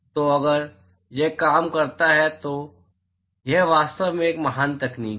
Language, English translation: Hindi, So, if this works it is really a great technology